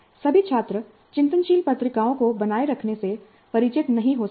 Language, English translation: Hindi, And not all students may be familiar with maintaining reflective journals